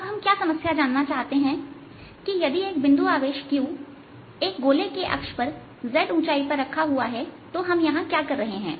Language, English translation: Hindi, now what the problem wants to know is the if a point charge q is placed on the axis of the ring at height z